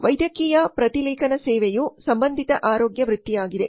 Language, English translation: Kannada, So medical transcription service is an allied health profession